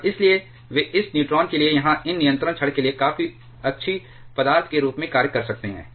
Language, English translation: Hindi, And therefore, they can act as quite good material for this neutron or for these control rods